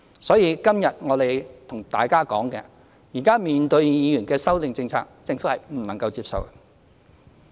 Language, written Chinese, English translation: Cantonese, 所以，今天我們向大家說，現在面對議員的修正案，政府是不能接受的。, As things stand we are telling Members today that the Government cannot accept the Members amendments before us